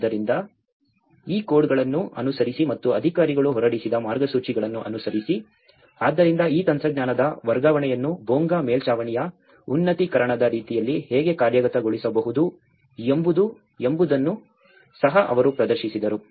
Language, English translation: Kannada, So, following these codes as well as the guidelines which has been issued by the authorities, so they also demonstrated that how the transfer of this technology can be implemented like the upgradation of the Bonga roof